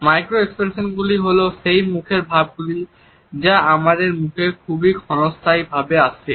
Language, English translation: Bengali, Micro expressions are those facial expressions that come on our face in a very fleeting manner